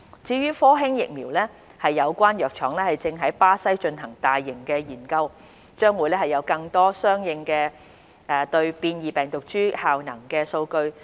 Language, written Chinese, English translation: Cantonese, 至於科興疫苗，有關藥廠正於巴西進行大規模研究，將會有更多有關應對變異病毒株的效能數據。, For the Sinovac vaccine the drug manufacturer concerned is currently implementing a large scale study in Brazil and more efficacy data against variants will be available